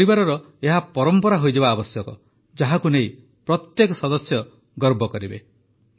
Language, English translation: Odia, Such a tradition should be made in our families, which would make every member proud